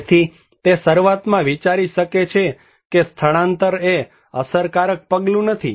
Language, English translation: Gujarati, So, he may think initially that evacuation is not an effective measure